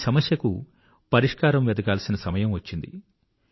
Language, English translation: Telugu, Now the time has come to find a solution to this problem